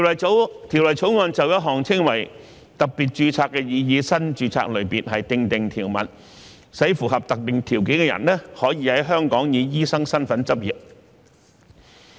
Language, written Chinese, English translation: Cantonese, 《條例草案》就一項稱為特別註冊的擬議新註冊類別，訂定條文，使符合特定條件的人可在香港以醫生身份執業。, The Bill provides for a proposed new type of registration known as special registration so that a person meeting specified criteria will be allowed to practise as a medical practitioner in Hong Kong